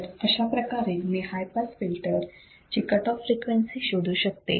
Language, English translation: Marathi, So, this is how I can calculate the cutoff frequency of the high pass filter